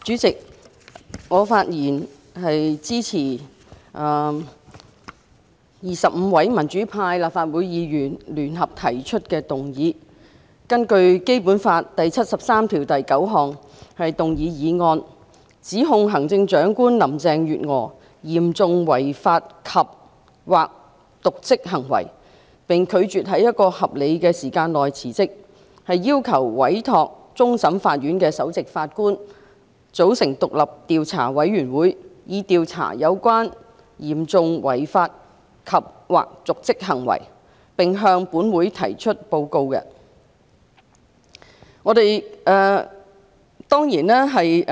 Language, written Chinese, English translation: Cantonese, 主席，我發言支持25位民主派立法會議員根據《基本法》第七十三條第九項聯合動議的議案，指控行政長官林鄭月娥有嚴重違法及/或瀆職行為，並拒絕在合理時間內辭職，因而要求委托終審法院首席法官組成獨立調查委員會，以調查相關的嚴重違法及/或瀆職行為，並向本會提出報告。, President I rise to speak in support of the motion jointly initiated by 25 pro - democracy Members of the Legislative Council under Article 739 of the Basic Law charging Chief Executive Carrie LAM with serious breach of law andor dereliction of duty whereas she has refused to resign within a reasonable time and this Council hereby gives a mandate to the Chief Justice of the Court of Final Appeal to form an independent investigation committee to investigate the alleged serious breaches of law andor dereliction of duty and report its findings to this Council